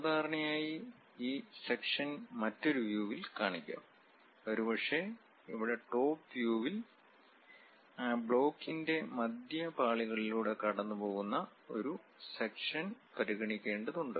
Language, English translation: Malayalam, Usually the section will be represented in other view, may be here in the top view, where section has to be considered on that object which is passing at the middle layers of that block